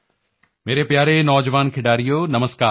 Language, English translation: Punjabi, My dear family members, Namaskar